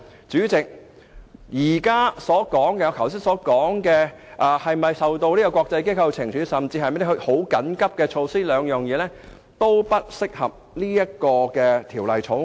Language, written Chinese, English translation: Cantonese, 主席，我剛才談到是否受到國際機構懲處的問題，或是否有需要採取緊急措施，但兩者也不適用於本《條例草案》。, President the two considerations I mentioned just now that is whether Hong Kong will be penalized by international organizations and whether emergency measures must be taken are not applicable to the Bill